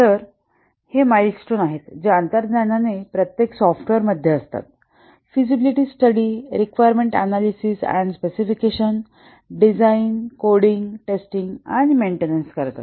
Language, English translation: Marathi, So these are the stages that intuitively every software undergoes the feasibility study, requirements analysis and specification, design, coding, testing and maintenance